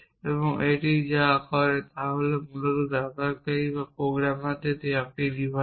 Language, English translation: Bengali, And what it does is there is basically a device given to the user or the programmer